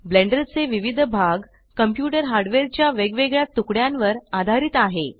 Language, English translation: Marathi, Different parts of Blender are dependent on different pieces of computer hardware